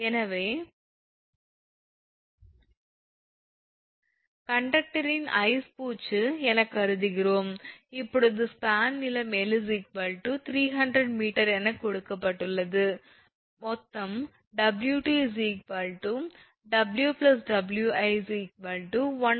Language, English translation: Tamil, So, here we are conduct considering that that ice coating on the conductor, now span length is given that is L is equal to capital L is equal to 300 meter W is given 1